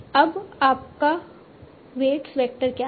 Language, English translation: Hindi, So what will be the new weight vector